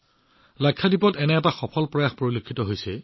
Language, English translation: Assamese, One such successful effort is being made in Lakshadweep